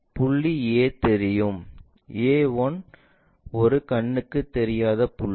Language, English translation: Tamil, Point A is visible A 1 is invisible point